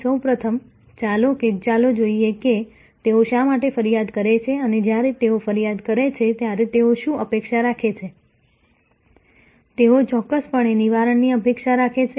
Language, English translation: Gujarati, First of all, let us see why they complain and what do they expect when they complain, they definitely expect a Redressal